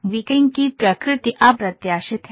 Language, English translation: Hindi, The nature of tweaking is unpredictable